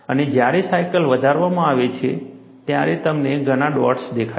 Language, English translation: Gujarati, And when the cycle is increased, you see several dots